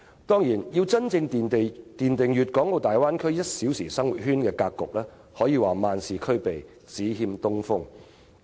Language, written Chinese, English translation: Cantonese, 當然，要真正奠定大灣區 "1 小時生活圈"的格局，可說是萬事俱備，只欠東風。, Of course it can be said that everything is ready for the Bay Area to be truly established as a one - hour living circle except one crucial thing